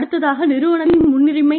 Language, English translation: Tamil, Then, management priority